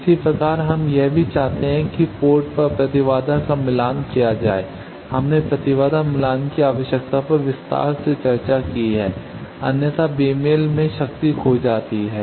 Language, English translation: Hindi, Similarly we also want that the impedance at the ports should be matched, we have discussed in detail the need of impedance matching otherwise there is power is lost in the mismatch